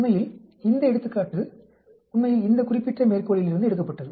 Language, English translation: Tamil, In fact, this example was taken from this particular reference here actually